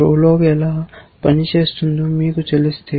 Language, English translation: Telugu, If you know how prolog works